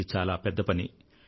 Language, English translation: Telugu, This is an enormous task